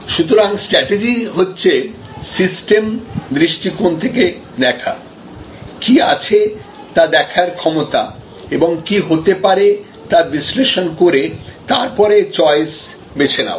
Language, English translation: Bengali, And strategy therefore, is seeing from a systems perspective, the ability to see what is and what could be by analyzing what if's and then make choices